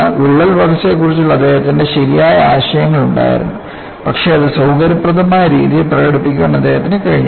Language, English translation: Malayalam, He had right ideas for crack growth, but he was not able to express it in a convenient fashion